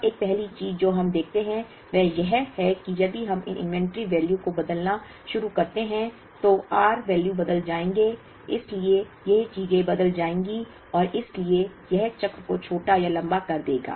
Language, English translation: Hindi, Now, one first thing we observe is that, if we start changing these inventory values, the r values will change, therefore these things will change and therefore, it will either shorten or lengthen the cycle